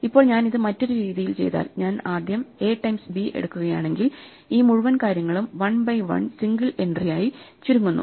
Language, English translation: Malayalam, Now if I do it the other way, if I take A times B first then this whole thing collapses into a 1 by 1 single entry